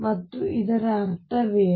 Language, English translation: Kannada, And what does that mean